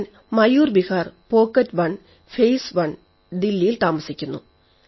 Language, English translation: Malayalam, I reside in Mayur Vihar, Pocket1, Phase I, Delhi